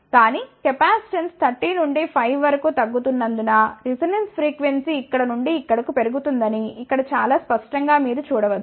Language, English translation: Telugu, But, you can see that it is very clear cut over here, that as the capacitance decreases from 30 to 5 resonance frequency increases from here to here